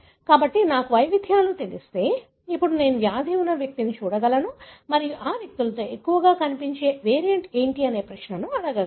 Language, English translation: Telugu, So, if I know the variants, now I can look into individual that have the disease and then ask the question what are the variant that are more often present in these individuals